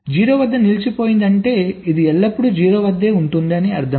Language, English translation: Telugu, let say stuck at zero means it is always at zero